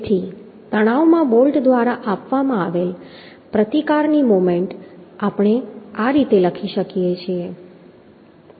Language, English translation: Gujarati, So movement of resistance provided by the bolt, intension we can write down in this way